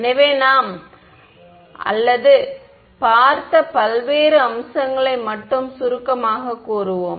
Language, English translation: Tamil, So, we will just or to summarise the various aspects that we looked at right